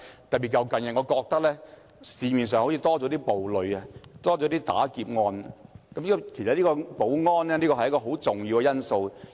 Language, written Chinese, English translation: Cantonese, 特別是近日發生了較多暴戾事件和劫案，保安是一個很重要的因素。, Security is a very important factor particularly in view of the recent rise in violent incidents and robberies